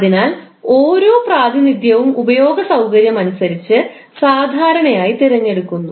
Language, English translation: Malayalam, So, in each representation it is normally chosen according to the ease of use